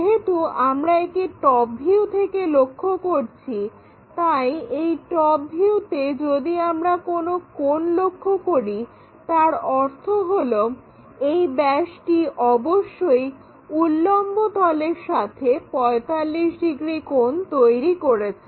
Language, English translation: Bengali, In top view, if we are observing some angle; that means, this diameter must be making a 45 degrees angle with the vertical plane